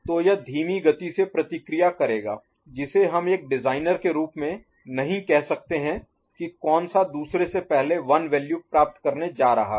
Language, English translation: Hindi, So, that will respond slower which we cannot say as a designer which one is you know, going to acquire the 1 value before the other, right